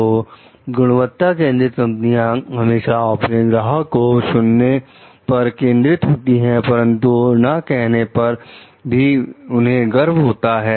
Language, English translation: Hindi, So, quality oriented companies, they focus on listening to their customers, but may take pride and being willing to say no to them